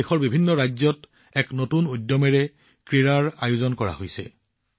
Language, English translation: Assamese, Today, sports are organized with a new enthusiasm in different states of the country